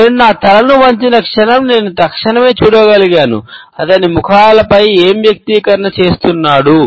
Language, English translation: Telugu, The moment I tilted my head, I could instantly see the, what the heck is he doing expression on the faces